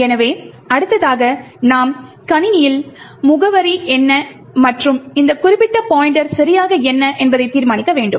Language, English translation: Tamil, So, the next thing that we need to do determine is the address of system and what exactly is this particular pointer